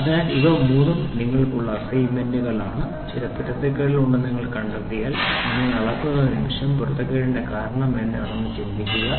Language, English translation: Malayalam, So, these three are assignments for you and moment you measure if you find out there is some inconsistency think what is the reason for inconsistency